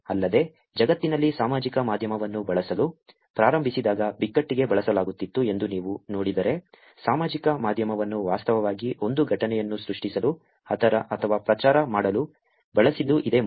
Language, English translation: Kannada, Also, in the world if you look at it when social media was started using, were being used for crisis, this is the first time when social media was actually used to create or to propagate an incident